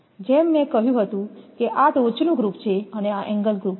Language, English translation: Gujarati, As I told this is the top group and this is the angle group